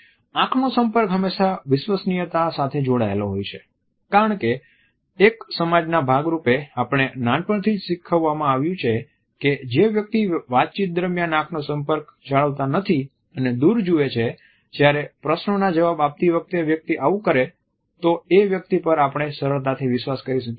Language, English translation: Gujarati, Eye contact is often linked with the trust issue because as a society we have been taught right from the childhood that someone who looks away during the conversation, while answering a question is not a person whom we can trust easily